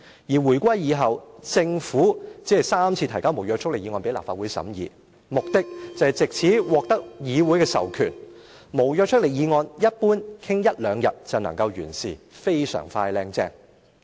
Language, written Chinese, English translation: Cantonese, 而回歸以後，政府只曾三次提交無約束力議案給立法會審議，目的，就是藉此獲得議會的授權——無約束力議案，一般傾一兩日會就能完事，非常快靚正。, Since the reunification the Government has moved only three motions with no legislative effective for debate in the Legislative Council . The purpose is to obtain authorization from the legislature . In general the debate on a motion with no legislative effect can be completed in one or two days which is fast and nice indeed